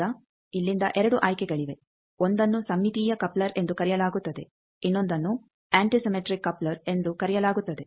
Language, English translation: Kannada, Now, from here there are 2 choices one is called symmetrical coupler another is called antisymmetrical coupler